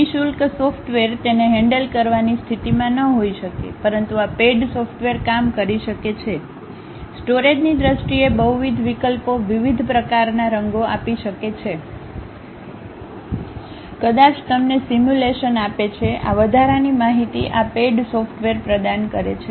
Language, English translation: Gujarati, Free software may not be in a position to handle it, but these paid softwares may work, in terms of storage, multiple options, giving different kind of colors, may be giving you simulations also, this extra information also this paid softwares provide